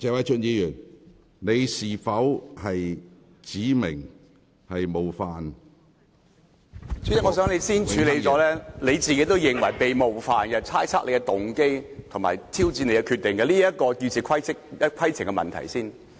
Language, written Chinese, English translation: Cantonese, 主席，我想你先處理，你自己認為被冒犯，被人猜測你的動機及挑戰你的決定這項議事規程的問題。, President I hope you can first deal with your perception of being offended Members speculations about your motive and also their challenges on your decision on this point of order